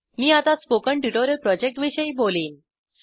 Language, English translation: Marathi, I will now talk about the spoken tutorial project